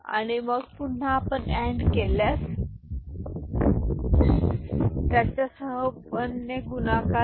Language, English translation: Marathi, And then again you AND it, then multiply it with 1 with this 1 1 0 1